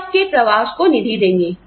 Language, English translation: Hindi, They will fund your travel